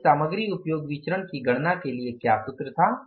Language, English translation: Hindi, So, for calculating this material usage variance, what was the formula here